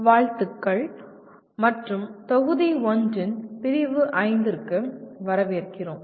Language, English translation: Tamil, Greetings and welcome to Unit 5 of Module 1